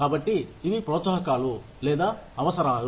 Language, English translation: Telugu, So, these are the perks or perquisites